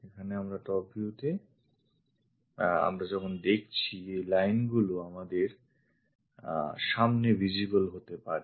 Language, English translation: Bengali, Now top view when we are looking at these lines supposed to be visible